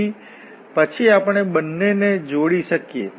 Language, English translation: Gujarati, So, then we can combine the two